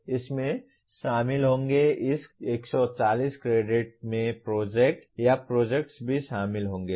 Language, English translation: Hindi, This will include, this 140 credits will also include the project or projects